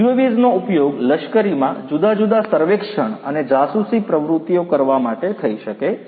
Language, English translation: Gujarati, UAVs could be used in the military for carrying out different reconnaissance surveys and reconnaissance activities